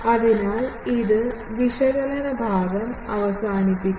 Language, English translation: Malayalam, So, this concludes the analysis part